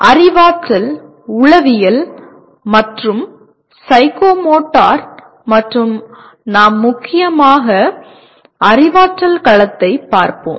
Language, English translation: Tamil, Cognitive, Affective, and Psychomotor and we dominantly will be looking at cognitive domain